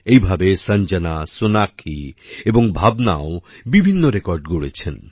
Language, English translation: Bengali, Similarly, Sanjana, Sonakshi and Bhavna have also made different records